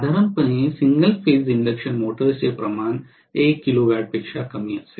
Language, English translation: Marathi, Normally most of the single phase induction motors will be less than 1 kilowatt rating